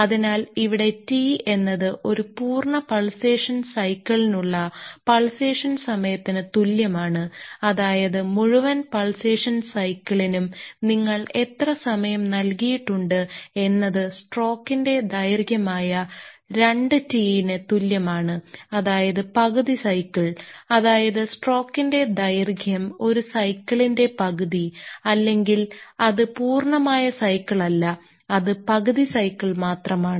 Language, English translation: Malayalam, So, here capital T had that capital T is equal to period of pulsation or time for a complete pulsation cycle that is for entire pulsation cycle how much time you have given is equal to 2 t that is a duration of the stroke, that is the half cycle; that is or if the duration of the stroke that is the half cycle, that is its not the complete cycle it is just the half cycle